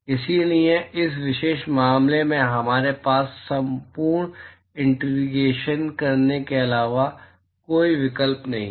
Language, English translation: Hindi, So, in this particular case, we have no option but to do the full integration